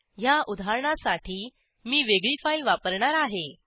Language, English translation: Marathi, I will use a different file for this example